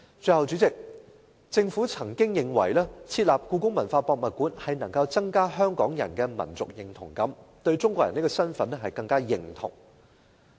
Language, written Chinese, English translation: Cantonese, 最後，主席，政府似乎認為設立故宮館能夠增加香港人的民族認同感，更認同"中國人"這個身份。, Lastly President the Government seems to think that the building of HKPM can enhance Hong Kong peoples sense of identity as Chinese people